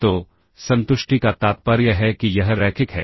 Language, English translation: Hindi, So, satisfies implies that this is linear ok alright